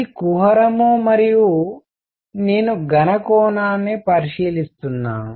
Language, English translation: Telugu, This is the cavity and I am looking into the solid angle